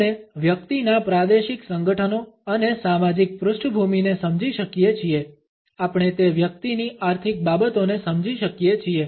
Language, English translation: Gujarati, We can understand the regional associations and social backgrounds of the person, we can understand the economic affairs of that individual